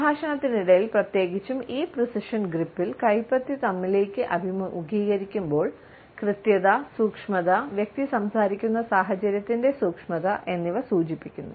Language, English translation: Malayalam, During the dialogues, you would find that this precision gesture particularly, when the palm is facing towards ourselves suggests accuracy, precision as well as delicacy of the situation about which the person is talking